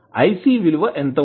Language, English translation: Telugu, What is the value of ic